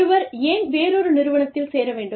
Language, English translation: Tamil, Why should, anyone join, another organization